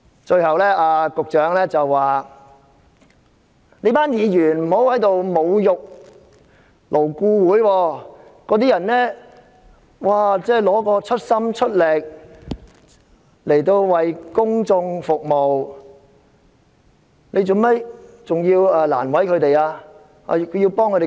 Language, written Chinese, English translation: Cantonese, 最後，局長請議員不要侮辱勞顧會，因為勞顧會委員盡心盡力為公眾服務，為何要為難他們？, Lastly the Secretary asked Members not to insult LAB because LAB members have tried their best to serve the public . Why should we make life difficult for them?